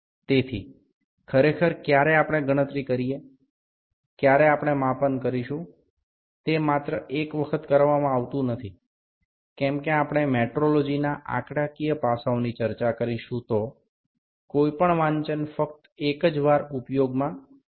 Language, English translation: Gujarati, So, actually when we do the calculations when we do the measurements, it is not done only one, as we will discuss statistical aspects of metrology no reading is taken only once